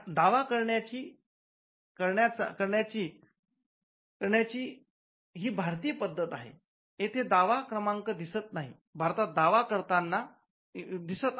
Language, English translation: Marathi, This is the Indian way of doing it we claim and the claim number 1